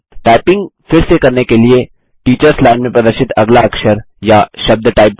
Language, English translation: Hindi, To resume typing, type the next character or word, displayed in the Teachers line